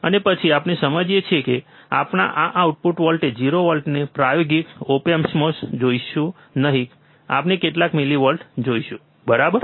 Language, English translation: Gujarati, And then we understand that we will not see this output voltage 0 volt in practical op amp we will see some millivolts, alright